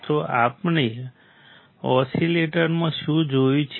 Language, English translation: Gujarati, So, what we have seen in oscillators